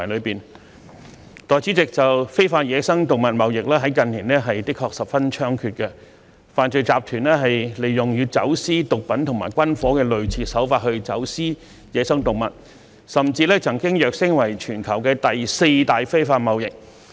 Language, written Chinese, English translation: Cantonese, 代理主席，非法野生動物貿易在近年的確十分猖獗，犯罪集團利用與走私毒品和軍火的類似手法走私野生動物，甚至曾躍升為全球第四大非法貿易。, 455 OSCO . Deputy Chairman the illegal trade of wild animals has indeed been rampant in recent years with criminal syndicates applying techniques similar to those used in drugs and arms smuggling in the smuggling of wild animals thus catapulting the latter to the fourth largest illegal trade in the world